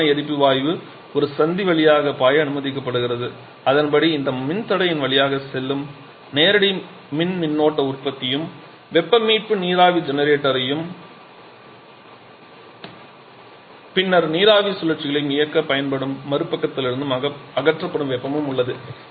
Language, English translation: Tamil, Hot combustion gas is allowed to flow through one Junction accordingly we have directly electrical current production which is passing through this register and the heat that is being removed from the other side that is used to run a heat recovery steam generator and subsequently steam cycle